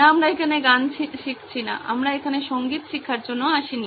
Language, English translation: Bengali, No we are not learning music here, we are not here for music lessons